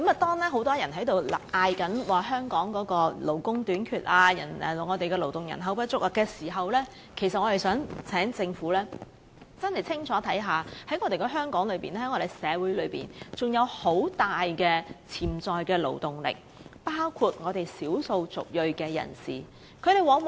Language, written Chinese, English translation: Cantonese, 當很多人高喊香港勞工短缺及勞動人口不足時，其實我們希望政府清楚看到香港社會仍有大量潛在勞動力，包括少數族裔人士。, At a time when many people are complaining about manpower shortage and lack of labour supply in Hong Kong we really hope the Government can see clearly that there is still huge potential in the labour force including the ethnic minorities waiting to be tapped